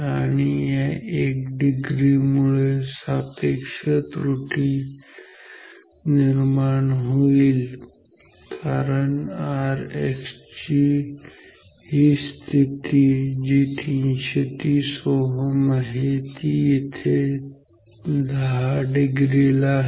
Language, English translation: Marathi, And, this 1 degree will correspond to a high relative error say because say this position R X is R X is equal to 3 30 ohm is say here at 10 degree